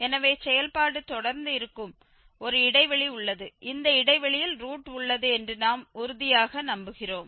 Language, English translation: Tamil, So, we have a interval where the function is continuous and we are sure that this interval contains the root